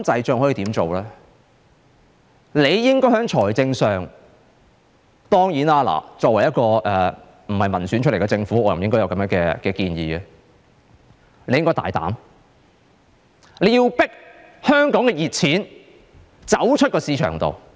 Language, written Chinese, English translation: Cantonese, 政府應該——當然，作為不是民選產生的政府，我不應該提出這樣的建議——政府應該大膽迫使香港的"熱錢"離開香港市場。, The Government should Certainly I should not offer such a proposal to a government that is not elected by the people The Government should boldly drive the hot money out of the Hong Kong market